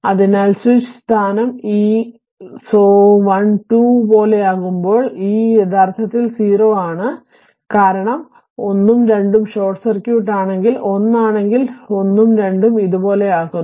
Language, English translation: Malayalam, So, this when the switch position is like this so1 and 2 this is actually your what you call that it is 0 right because 1 and 2 is short circuit if 1 if it is if it is 1 and 2 make like this